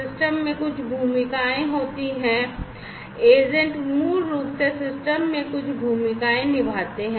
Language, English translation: Hindi, So, the system has certain roles, the agents basically will have certain roles on the system, in the system rather